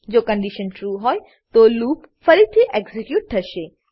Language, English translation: Gujarati, If the condition is true, the loop will get executed again